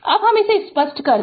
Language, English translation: Hindi, Now, let me clear it